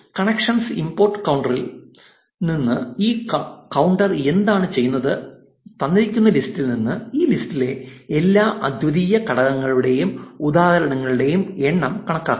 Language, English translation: Malayalam, Now, say from collections import counter, what this counter does is given a list it will count the number of instances of all the unique elements present in this list